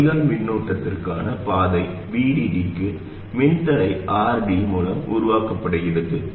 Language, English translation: Tamil, A path for the drain current is created to VD through a resistor RD